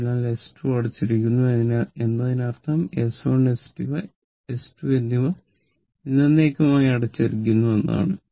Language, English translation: Malayalam, So, S 2 is closed this means S 1 and S 2 are closed forever right